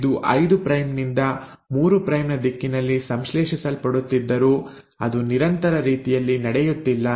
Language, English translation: Kannada, Though it is getting synthesised in a 5 prime to 3 prime direction it is not happening in a continuous manner